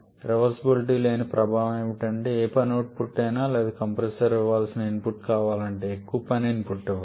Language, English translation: Telugu, The effect of the presence of irreversibilities is that whatever work output or rather want input that we need to be given to the compressor we have to give higher work input